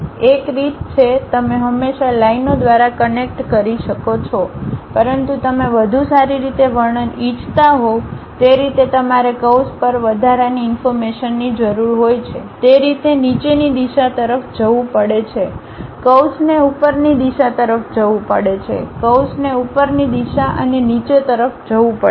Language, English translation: Gujarati, One way is you can always connect by lines, but you want better description naturally you require additional information on the curve has to go downward direction in that way, the curve has to go upward direction, the curve has to go upward direction and downward direction